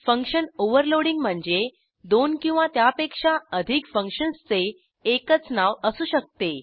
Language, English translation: Marathi, Function Overloading means two or more functions can have same name